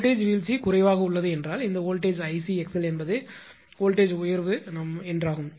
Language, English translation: Tamil, Voltage drop is less means this voltage this much is the I c into x l is the voltage rise right